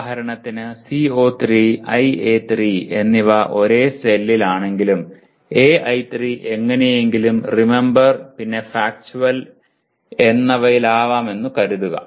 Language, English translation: Malayalam, For example if CO3 and IA3 are in the same cell but AI3 somehow belongs to let us say Remember and Factual